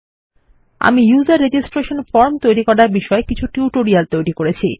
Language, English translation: Bengali, I have created some tutorials on how to make a user registration form